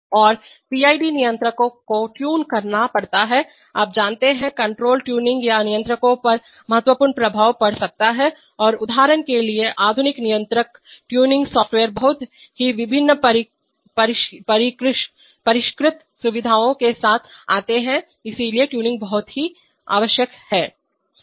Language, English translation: Hindi, And PID controllers have to be tuned, you know, control tuning can have significant impact on controllers and there are various for example modern day controllers come with very quite sophisticated features of tuning software, so tuning is very much required